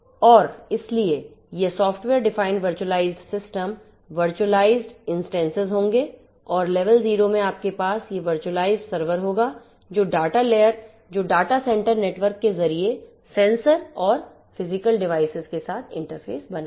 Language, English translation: Hindi, And so these are going to be software defined virtualized systems virtualized instances and so on and in level 0 you are going to have these virtualized servers that will interface with the sensors and the physical devices via the data center networks